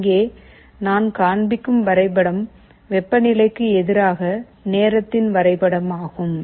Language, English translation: Tamil, Here, the graph that I am showing is a temperature versus time graph